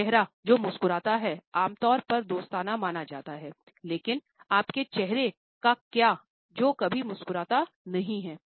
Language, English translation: Hindi, ‘A face that smiles’ is normally considered to be friendly, but what about your face which never smiles